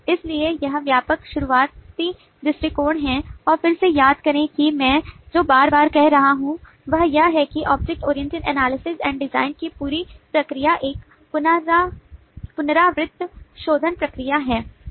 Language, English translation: Hindi, so this is the broad starting approach and again, please recall that what i have been saying very repeatedly is that the whole process of object oriented analysis and design is a iterative refinement process